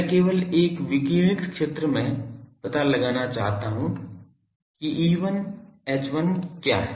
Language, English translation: Hindi, I just want to find out at a radiated zone what is E1 H1